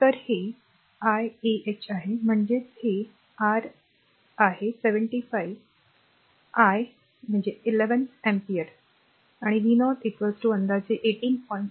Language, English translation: Marathi, So, this is your i ah; that means, ah this is your ah this is your ah i 75 by 11 ampere and v 0 is equal to approximately 18